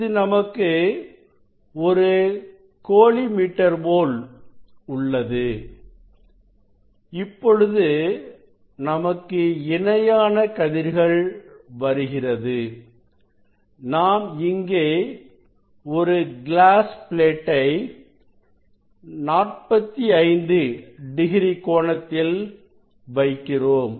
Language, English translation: Tamil, now, this parallel rays are coming and here, we have we will put a glass plate at 45 degree, at 45 degree